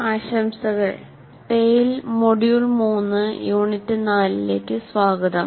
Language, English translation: Malayalam, Greetings and welcome to Tale, Module 3, Unit 4